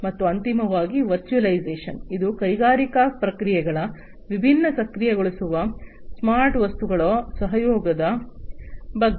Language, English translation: Kannada, And finally the virtualization which is about the collaboration of the smart objects, which are the different enablers of industrial processes